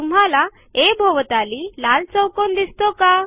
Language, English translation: Marathi, Do you see the red square around a